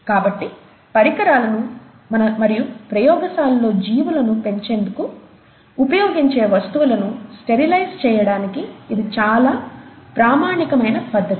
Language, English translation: Telugu, So that's a very standard method of sterilizing instruments, or sterilizing things that we use in the lab to grow organisms and so on